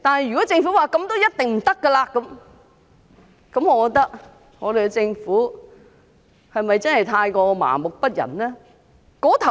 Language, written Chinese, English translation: Cantonese, 如果政府說這絕對不行，政府是否真的太過麻木不仁？, If the Government says that this is absolutely out of the question is the Government really too apathetic?